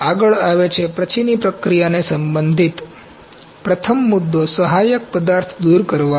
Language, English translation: Gujarati, Next comes, the post processing concerns first concern is support material removal